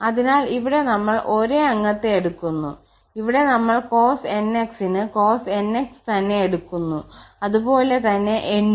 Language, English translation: Malayalam, So, here we are taking the same member we have taken the cos nx and with cos nx for same n of course